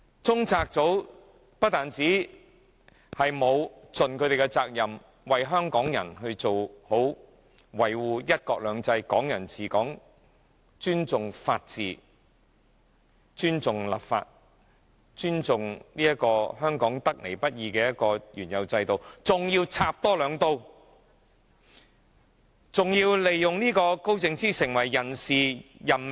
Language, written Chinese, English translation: Cantonese, 中策組不但沒有盡其責任，為香港人好好維護"一國兩制"、"港人治港"、尊重法治、尊重立法，以及尊重香港得來不易的原有制度，更還要多插兩刀，還要利用高靜芝插手人事任命。, Instead of dutifully safeguarding one country two systems and Hong Kong people administering Hong Kong on behalf of Hong Kong people and rather than respecting the rule of law the legislature and the hard - earned previous system of Hong Kong CPU has even attempted to do further damage by using Sophia KAO as a means of interfering with the appointment of members to various organizations and committees . As a result all such organizations are just like social clubs of LEUNGs fans